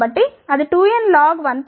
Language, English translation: Telugu, So, that will be 2n log 1